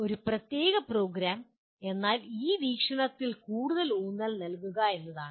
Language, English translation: Malayalam, A particular program that means is emphasizing more on this aspect